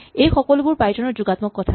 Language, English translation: Assamese, These are all plus points of Python